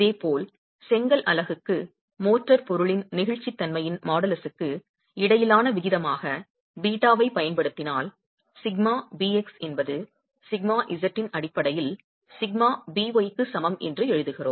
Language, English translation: Tamil, Similarly, if we were to use beta as the ratio between the model as elasticity of the motor material to the brick unit, we are writing down sigma bx is equal to sigma b y in terms of sigma z